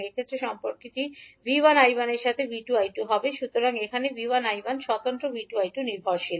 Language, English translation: Bengali, In this case the relationship will be V 2 I 2 with respect to V 1 I 1, so here V 1 I 1 is independent, V 2 I 2 is dependent